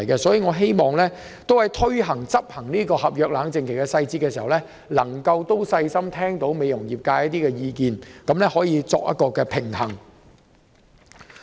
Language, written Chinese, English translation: Cantonese, 所以，我希望當局制訂合約冷靜期的細節時，能細心聆聽美容業界的意見，取得平衡。, For that reason I hope the authorities can carefully listen to the views of the beauty industry when drawing up the details of the contractual cooling - off period and strike a balance